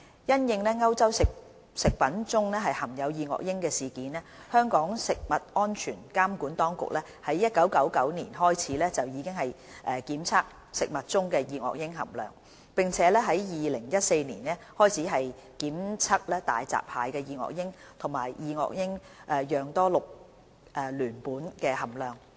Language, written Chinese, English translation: Cantonese, 因應歐洲食物中含有二噁英的事件，香港食物安全監管當局在1999年開始檢測食物中的二噁英含量，並由2014年起檢測大閘蟹的二噁英及二噁英樣多氯聯苯含量。, In response to the incident on dioxins detected in food in Europe the food safety regulator of Hong Kong then set an action level for dioxins in 1999 . Testing for dioxins and dioxin - like polychlorinated biphenyls PCBs in hairy crabs started in 2014